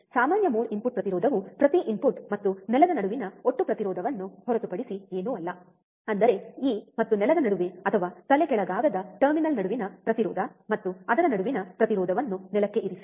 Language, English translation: Kannada, Common mode input impedance is nothing but total resistance between each input and ground; that means, the resistance between this and ground or between non inverting terminal and ground the resistance between it